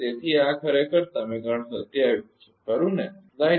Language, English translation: Gujarati, So, this is actually equation 27, right